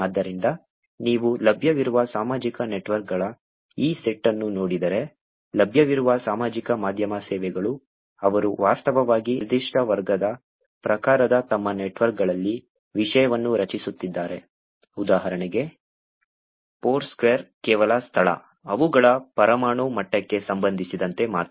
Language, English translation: Kannada, So, if you look at this set of social networks that are available, social media services that are available, they are actually creating content in their networks of a particular category type, for example, Foursquare is only with respect to location, their atomic level information is to say is actually the location; the network is based on location